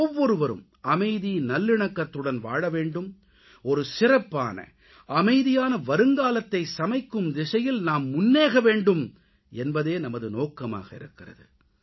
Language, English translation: Tamil, We believe that everyone must live in peace and harmony and move ahead to carve a better and peaceful tomorrow